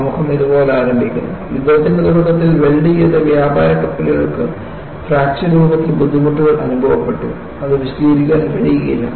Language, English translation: Malayalam, See, the foreword starts like this, ‘early in the war, welded merchant vessels experienced difficulties in the form of fractures, which could not be explained